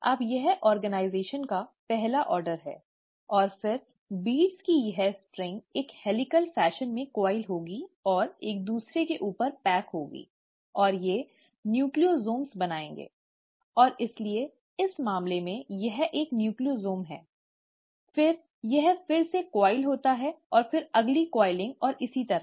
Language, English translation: Hindi, Now that's the first order of organization, and then this string of beads will further coil in a helical fashion and pack over each other and they will form nucleosomes, and so in this case this is one Nucleosome, then it coils again, and the next coiling and so on